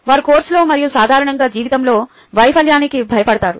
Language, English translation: Telugu, they fear failure in the course and in life in general